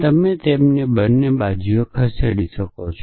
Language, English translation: Gujarati, So, you can move them across on both sides